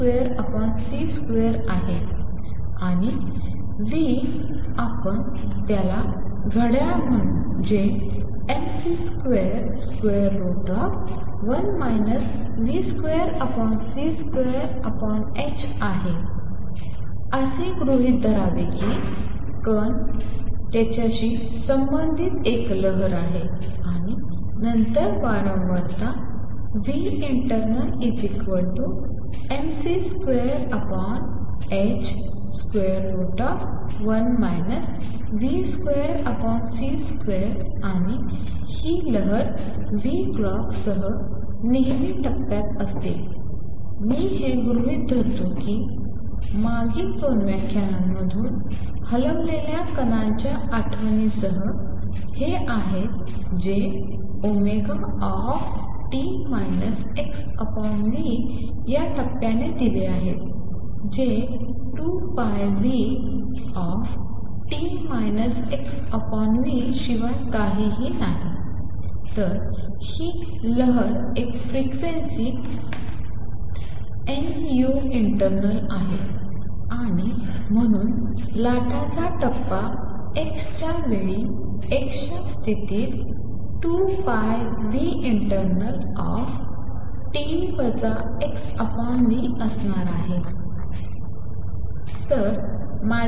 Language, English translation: Marathi, And nu let us call it clock, which is mc square, square root of one minus v square over c square over h is to assume that the particle has a wave associated with it, and then the frequency nu internal equals mc square over h square root of 1 minus v square over c square, and this wave is always in phase with nu clock, that I am assuming remains with the moving particle recall from previous 2 lectures that this phase is given by omega t minus x by v which is nothing, but 2 pi nu t minus x over v